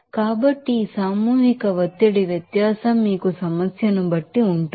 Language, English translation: Telugu, So, this mass pressure difference will be there according to you are problem